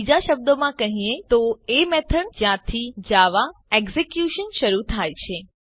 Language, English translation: Gujarati, In other words the method from which execution starts with java